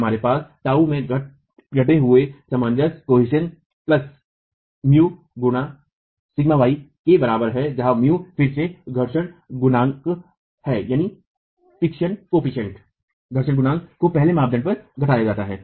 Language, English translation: Hindi, We have tau is equal to reduced cohesion plus mu into sigma y where mu again is reduced friction coefficient being the first criterion